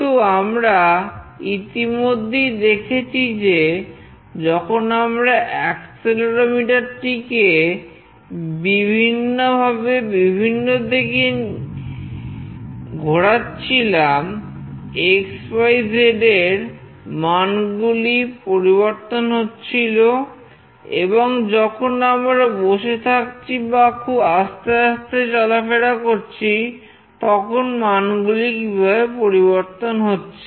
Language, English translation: Bengali, So, we have already seen that when we move the accelerometer in various position, in various ways, the x, y, z value changes and when we are sitting or we are moving in a very slow position, how the value changes